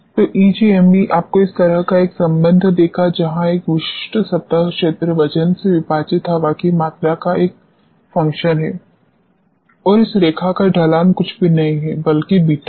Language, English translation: Hindi, So, EGME will give you a relationship like this, where a specific surface area is a function of volume of air divided by weight and the slope of this line is nothing, but beta